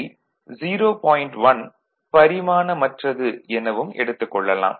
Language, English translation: Tamil, So, it is a dimensionless quantity